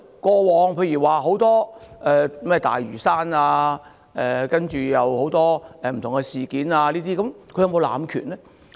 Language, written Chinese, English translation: Cantonese, 過往，例如在有關大嶼山及很多不同的事件上，她有否濫權呢？, On the issue relating to Lantau and many various issues in the past did she abuse her powers?